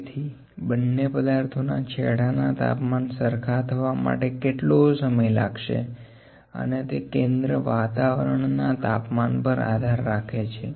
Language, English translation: Gujarati, So, what time would it take for the temperature to come to the same value at both these ends and it is centre depending on the environment temperature